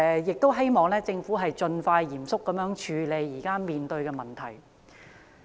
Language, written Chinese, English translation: Cantonese, 就此，我希望政府盡快嚴肅處理前述的問題。, In this regard I hope that the Government will seriously deal with the aforementioned problems as soon as possible